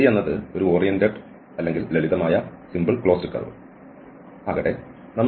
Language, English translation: Malayalam, So that let the C be an oriented or the simple closed curve